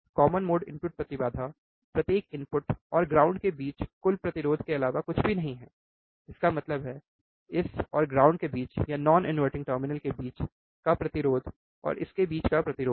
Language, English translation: Hindi, Common mode input impedance is nothing but total resistance between each input and ground; that means, the resistance between this and ground or between non inverting terminal and ground the resistance between it